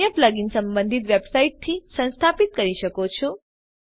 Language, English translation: Gujarati, Other plug ins can be installed from the respective website